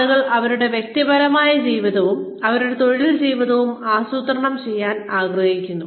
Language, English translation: Malayalam, People want to plan their personal lives, and their work lives